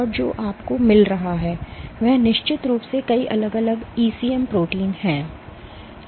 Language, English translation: Hindi, And what you find is so this of course has multiple different ECM proteins